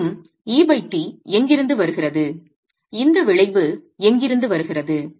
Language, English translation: Tamil, And where does E by T, where does this effect come from